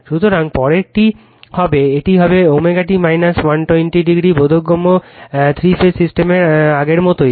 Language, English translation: Bengali, So, next one will be it will be omega t minus 120 degree understandable same as before three phase system